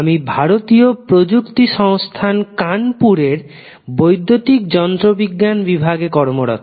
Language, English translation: Bengali, I am working with department of electrical engineering at IIT Kanpur